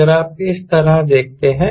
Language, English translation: Hindi, so suppose it is like this